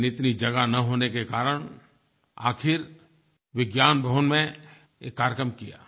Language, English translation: Hindi, However due to space constraint, the program was eventually held in Vigyan Bhawan